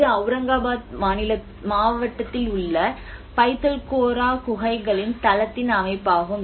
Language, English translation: Tamil, \ \ \ So, this is the layout of a Buddhist site which is a Pitalkhora caves which is in the district of Aurangabad